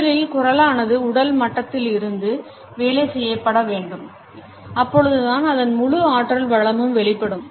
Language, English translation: Tamil, Voice has to be first worked on at a physical level to unleash it is full natural potential